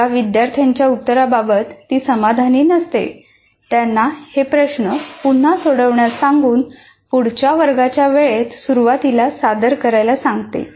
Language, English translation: Marathi, She asked the student whose work she was not happy with to redo it and submit to her at the start of the next class